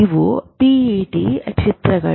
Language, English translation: Kannada, These are the pet images